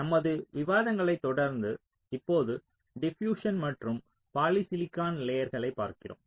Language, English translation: Tamil, ok, so, continuing with our discussions, we now look into the diffusion and polysilicon layers